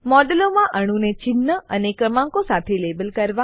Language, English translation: Gujarati, * Label atoms in a model with symbol and number